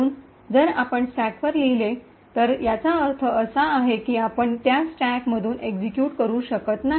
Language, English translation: Marathi, So, if you write to the stack it would imply that you cannot execute from that stack